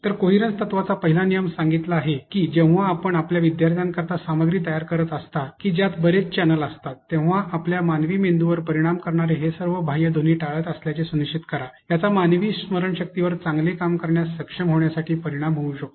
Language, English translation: Marathi, So, the first rule of coherence principle states that whenever you are creating in any content, whenever you are creating content for your students that involves a lot of channels make sure that you are avoiding all these extraneous sounds that may affect a the human brain, may affect the human memory to be able to work better